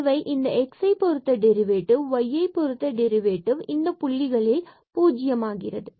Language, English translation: Tamil, So, here the function derivative with respect to x and with respect to y both are 0 at these points